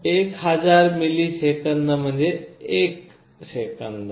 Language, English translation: Marathi, 1000 milliseconds is 1 second